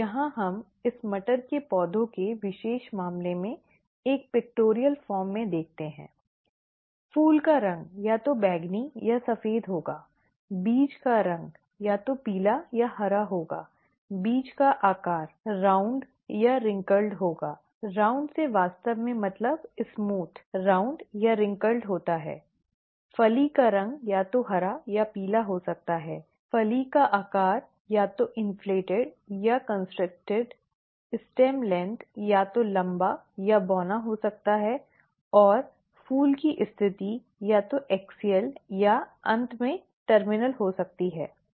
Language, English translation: Hindi, Here, we see it in a pictorial form in the particular case of pea plants; the flower colour would either be purple or white; the seed colour would either be yellow or green; the seed shape would be round or wrinkled, by round it is actually smooth, round or wrinkled; the pod colour could either be green or yellow; the pod shape could be either inflated or constricted; the stem length could be either tall or dwarf; and the flower position could be either axial or at the end, terminal, okay